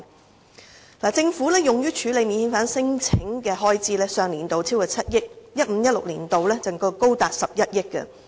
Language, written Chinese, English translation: Cantonese, 政府在上年度用於處理免遣返聲請的開支便超過7億元，而 2015-2016 年度更高達11億元。, In the previous financial year the Government spent more than 700 million on handling non - refoulement claims . The corresponding expenditure in 2015 - 2016 was as high as 1.1 billion